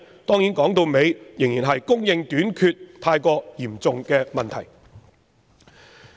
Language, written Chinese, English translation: Cantonese, 當然，說到底仍然是供應短缺太嚴重的問題。, After all the root cause is still an acute shortage of supply